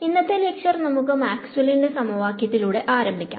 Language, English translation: Malayalam, We will start at today’s lecture with a review of Maxwell’s equations